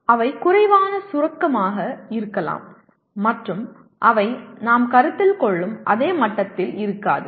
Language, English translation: Tamil, They may be less abstract and they will not be at the same level as we would consider